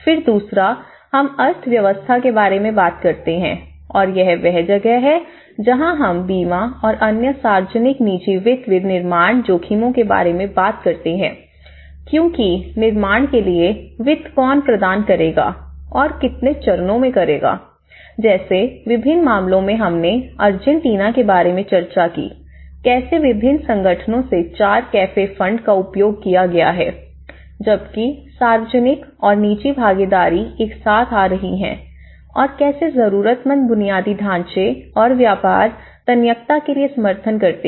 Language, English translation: Hindi, Then, the second one we talk about the economy and this is where we talk about insurance and other risk sharing public private finance for constructions because who will provide the finance for the constructions, what stages, like in different cases we also have discussed in Argentina, how the four cafe funds have been used from different organizations have put together whereas, the public and private partnerships are coming together and how the needy infrastructure and support for the business resilience